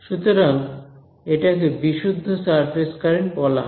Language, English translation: Bengali, So, I will call this the pure surface current all right